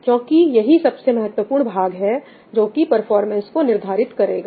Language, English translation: Hindi, That is the most important part which is going to determine the performance